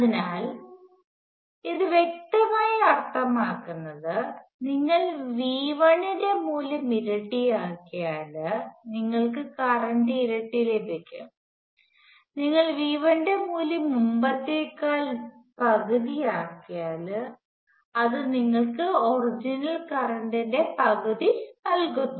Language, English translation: Malayalam, So, this obviously means that if you double the value of V 1, you will get double the current, if you make the value V 1 half of what it was before, it gives you half the original current and so on